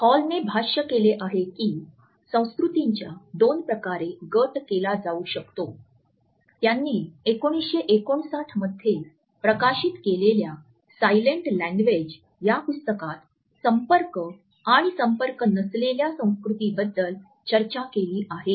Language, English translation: Marathi, Hall has commented that cultures can be grouped in two ways, he has talked about contact and non contact cultures in his book The Silent Language which was published in 1959